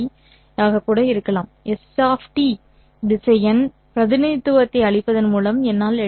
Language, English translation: Tamil, I'll be able to write down S of T vector by giving its vector, no, vector representation